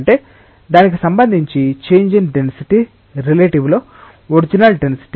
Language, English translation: Telugu, That means, what is the change in density relative to it is original density